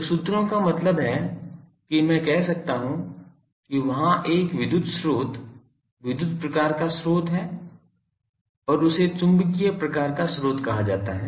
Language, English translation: Hindi, So, sources means I can say that there is a electric source, electric type of source to be precise because actually and this is called magnetic type of source